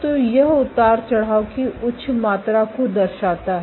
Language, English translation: Hindi, So, this shows so the higher amount of fluctuation